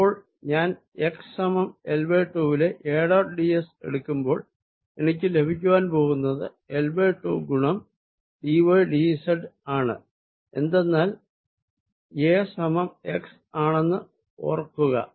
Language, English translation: Malayalam, so when i do a dot d s for x equals l by two, i am going to get l by two times d y, d z, because remember, a is x, so l by two